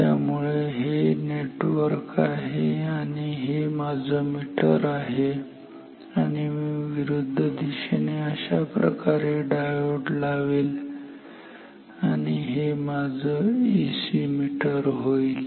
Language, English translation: Marathi, So, if this is the network this is my meter I will put a diode in the opposite direction like this and this will be my AC ammeter, this will be this is my AC ammeter